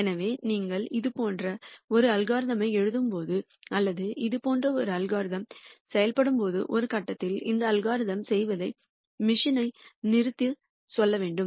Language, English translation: Tamil, So, when you write an algorithm like this or when an algorithm like this works you have to tell the machine to stop doing this algorithm at some point